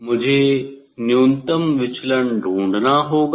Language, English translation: Hindi, for minimum deviation I have to find out